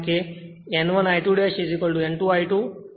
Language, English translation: Gujarati, Of course, N 1 greater than N 2